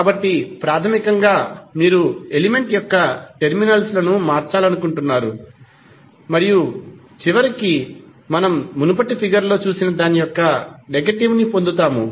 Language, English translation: Telugu, So, basically you are interchanging the terminals of the element and you eventually get the negative of what we have shown in the previous figure